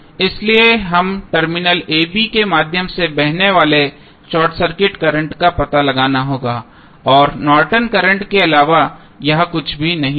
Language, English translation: Hindi, So, we need to find out the short circuit current flowing through terminal a, b and that would be nothing but the Norton's current